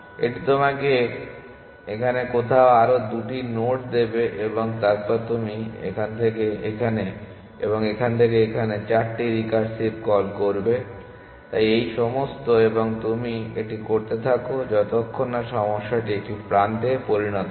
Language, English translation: Bengali, That would give you two more nodes somewhere here and somewhere here then you make 4 recursive calls from here to here and here to here, so all of this and you keep doing that till the problem has just become an edge that